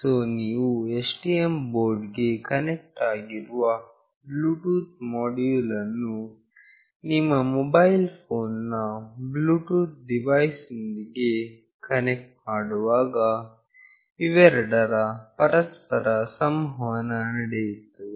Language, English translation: Kannada, So, when you will be connecting the Bluetooth module connected with the STM board to your mobile phone Bluetooth device, these two will communicate with each other